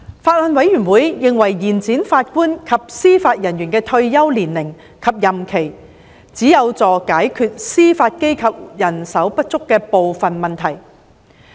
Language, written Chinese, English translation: Cantonese, 法案委員會認為延展法官及司法人員的退休年齡及任期，只有助解決司法機構人手不足的部分問題。, The Bills Committee considers that extending the retirement age and terms of office of JJOs can only partly address the judicial manpower shortage